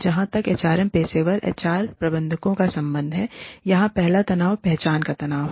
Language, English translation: Hindi, As far as, the HR professional, HR managers are concerned, the first tension here is, tensions of identity